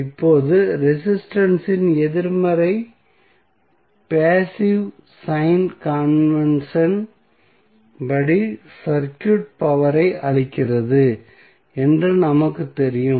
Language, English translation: Tamil, Now, the negative value of resistance will tell us that according to the passive sign convention the circuit is supplying power